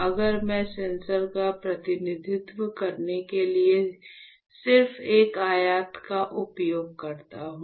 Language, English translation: Hindi, So, if I just use one rectangle to represent the sensor